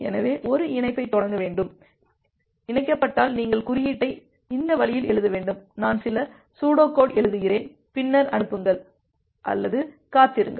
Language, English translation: Tamil, So that means to initiate a connection what you have to do, you have to write the code in this way that if connected, I am just writing some pseudo code, then send; else wait